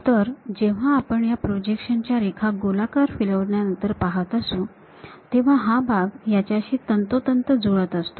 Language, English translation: Marathi, So, if you are seeing this projection lines after revolving whatever that line, this part coincides with that